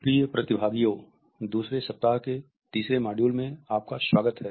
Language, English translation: Hindi, Welcome dear participants to the third module of the second week